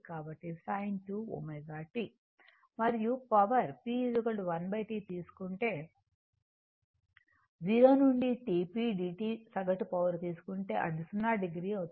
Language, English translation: Telugu, And if you take the power P is equal to 1 upon T 0 to T p dt average power, if you take, it will become 0 right